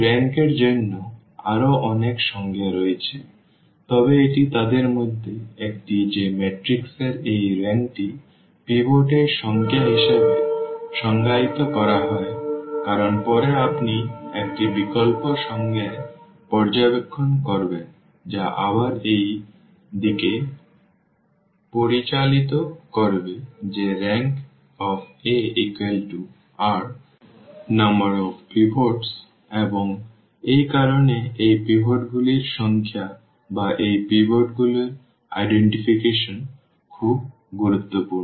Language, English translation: Bengali, There are many other definitions for this rank, but this is one of them that this rank of a matrix is defined as the number of the pivots because later on you will observe in an alternate definition that will again lead to this that rank A is equal to precisely this number of pinots and that is the reason this number of pivots or the identification of these pivots a pivot elements are very important